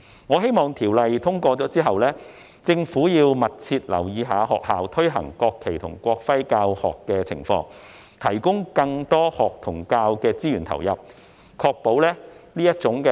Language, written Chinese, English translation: Cantonese, 我希望在《條例草案》獲通過後，政府能密切留意學校推行國旗及國徽教學的情況，並投入更多學與教資源，以確保這種愛國教育具有成效。, I hope that the Government will keep a close eye on the implementation of the teaching of the national flag and national emblem in schools upon passage of the Bill and allocate more learning and teaching resources for this purpose to ensure that patriotic education of this kind is effective